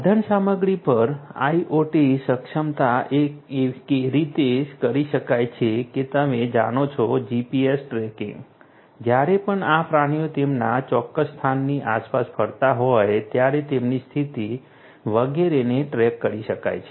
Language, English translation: Gujarati, On the equipment IoT enablement can be done in terms of you know GPS tracking whenever you know these animals are moving around their exact location their position etcetera could be could be tracked